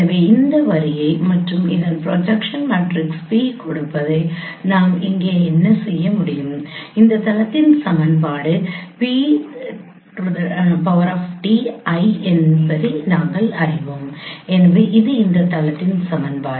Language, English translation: Tamil, So we can what we can do here that now given this line and given this projection matrix P we know that equation of this plane is p transpose L